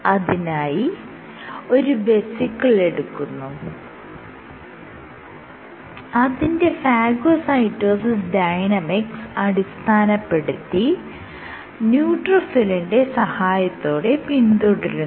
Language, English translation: Malayalam, So, if you do an experiment in which you take a vesicle and you track its phagocytosis dynamics by a neutrophil